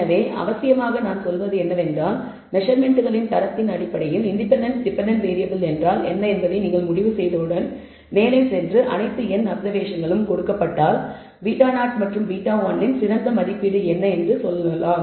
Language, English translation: Tamil, So, essentially what I am saying is that once you have decided based on purpose based on the kind of quality of the of the measurements, what is the independent dependent variable, then you can go ahead and say given all the observations n observations, what is the best estimate of beta 0 and beta 1